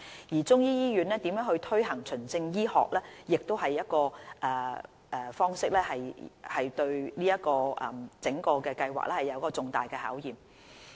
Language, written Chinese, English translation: Cantonese, 而中醫醫院如何推行循證醫學的方式對整個計劃亦是重大考驗。, The adoption of evidence - based medicine will also be a major challenge to the whole project